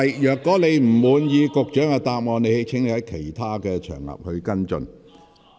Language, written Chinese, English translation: Cantonese, 如果你不滿意局長的答覆，請在其他場合跟進。, If you are dissatisfied with the Secretarys answer please follow up on the matter on other occasions